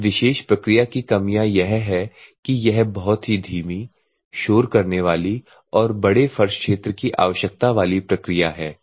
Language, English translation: Hindi, And the drawbacks of this particular process is that it is very slow, noisy and large floor area spaces required